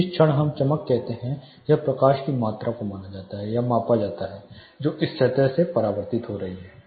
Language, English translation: Hindi, So, movement we say brightness it is amount of light perceived or measured to reflect of a surface